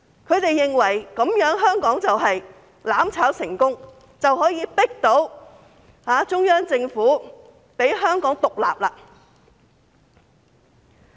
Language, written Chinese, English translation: Cantonese, 他們認為這樣香港便會"攬炒"成功，可以迫到中央政府讓香港獨立。, They believe that they will achieve mutual destruction of Hong Kong in this way and thus the central government will be forced to let Hong Kong be independent